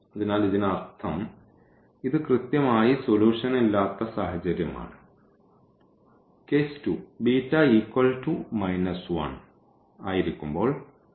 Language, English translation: Malayalam, So, that means, this is the case of exactly no solution and the case 2 we will consider when beta is equal to minus 1